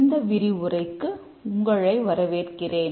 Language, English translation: Tamil, Welcome to this lecture this lecture